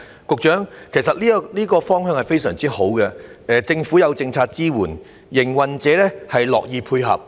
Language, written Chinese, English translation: Cantonese, 局長，其實這是非常好的方向，政府提供政策支援，營辦商也樂意配合。, Secretary this is actually a very good direction as the Government will provide policy support and operators will gladly cooperate